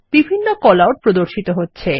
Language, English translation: Bengali, Various Callouts are displayed